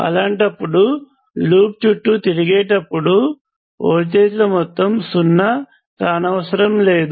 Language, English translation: Telugu, In that case, the sum of voltages as you go around the loop is not necessarily zero